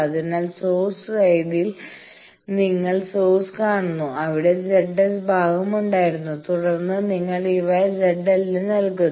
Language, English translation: Malayalam, So, the source side you see there was source, there was the Z S part and then when you are giving these to Z l